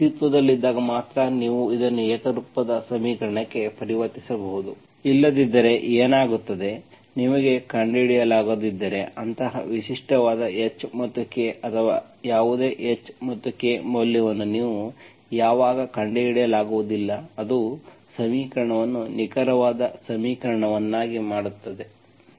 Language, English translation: Kannada, Only when they exist, you can proceed and solve, you convert this into homogeneous equation, otherwise what happens, if you cannot find, when can you not find such a unique H and K or no H and K value such that that makes the equation an exact equation